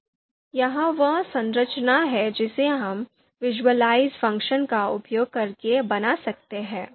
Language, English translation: Hindi, So this is the structure that we can create using the visualize function